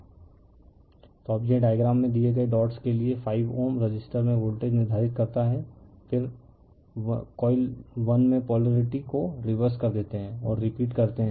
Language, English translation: Hindi, So, now this one determine the voltage across the 5 ohm resister for the dots given in the diagram, then reverse the polarity in 1 coil and repeat